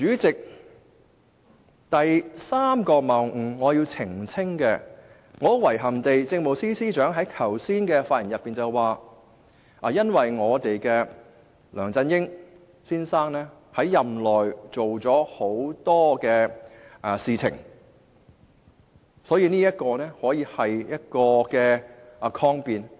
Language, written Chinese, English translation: Cantonese, 至於我要澄清的第三個謬誤，很遺憾，政務司司長剛才發言時表示，梁振英先生在任內做了很多事情，可以作為抗辯理由。, As to the third fallacy which I have to clarify very regrettably the Chief Secretary for Administration mentioned in his speech just now the many things done by Mr LEUNG Chun - ying during his tenure which can serve as a ground of defence